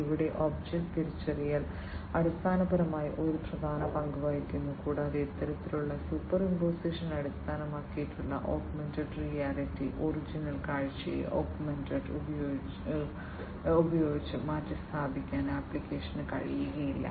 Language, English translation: Malayalam, So, here object recognition basically plays an important role and the application cannot replace the original view with the augmented one in this kind of superimposition based augmented reality